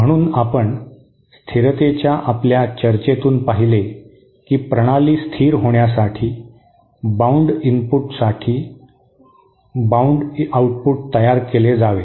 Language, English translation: Marathi, So we will we saw from our discussion of stability that for a system to be stable, for a bounded input it should produce a bounded output